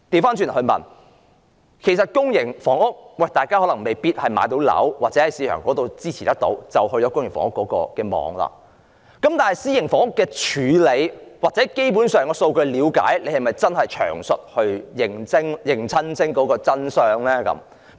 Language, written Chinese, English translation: Cantonese, 反過來說，市民可能未必有能力負擔市場上的樓宇，於是便要進入公營房屋的網絡，但是，以私營房屋的處理或基本上對數據的了解而言，政府是否真的詳細認清當中的真相呢？, On the other hand the public may not have the means to afford housing in the market and this is why they have to enter the public housing network . If the problem is tackled by way of private housing or when it comes to the basic understanding of the statistics does the Government have a full detailed picture of the truth?